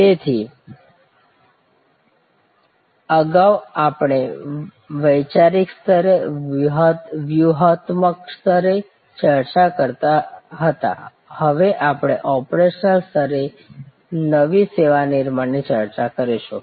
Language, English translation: Gujarati, So, earlier we were discussing at conceptual level, strategic level, now we will discuss new service creation at an operational level